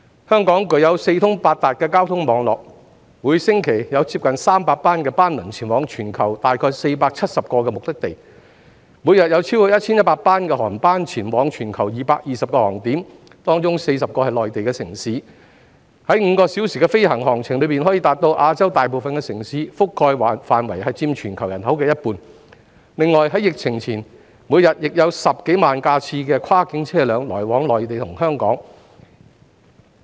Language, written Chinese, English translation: Cantonese, 香港具有四通八達的交通網絡，每星期有接近300班班輪前往全球約470個目的地；每日有超過 1,100 班航班前往全球220個航點，當中40個是內地城市，在5個小時的飛行航程中，可到達亞洲大部分城市，覆蓋範圍佔全球人口一半；另外，在疫情前，每天亦有10多萬架次的跨境車輛來往內地與香港。, Every week there are nearly 300 liners travelling to some 470 destinations around the world . Every day there are more than 1 100 flights heading for 220 destinations around the world 40 of which are Mainland cities and a flight within five hours can reach most Asian cities covering half of the worlds population . In addition before the epidemic more than 100 000 cross - border vehicle trips were made daily between the Mainland and Hong Kong